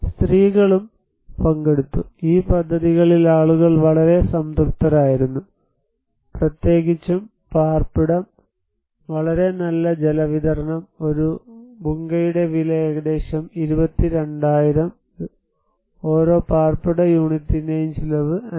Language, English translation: Malayalam, Women also participated so, people who were very satisfied with these projects, particularly with shelter, very good water supply, and the cost of the one Bhungas is around 22,000 and each cost of the each dwelling unit was 55,000